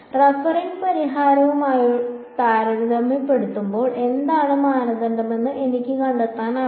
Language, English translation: Malayalam, And I can find out for example, compared to the referring solution what is the norm